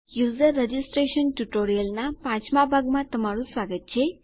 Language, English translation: Gujarati, Welcome to the 5th part of the User registration tutorial